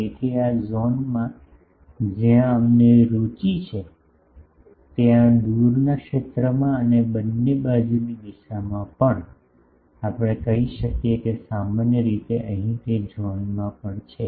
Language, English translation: Gujarati, So, in this zones where we are interested, in the far zone and also in the both side direction, we can say that generally, is also here in that zone